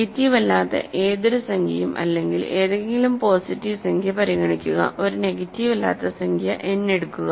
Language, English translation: Malayalam, So, fix an any positive any non negative integer consider; so, fix an non negative integer n